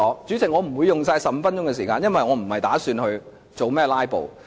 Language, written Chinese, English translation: Cantonese, 主席，我不會盡用15分鐘發言時間，因為我不打算"拉布"。, President I will not fully use this 15 minutes for my speech as I have no intention to filibuster